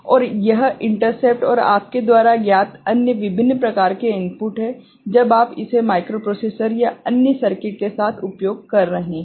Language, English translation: Hindi, And there are this interrupt and various other you know, inputs are there when you are using it with a microprocessor or other circuit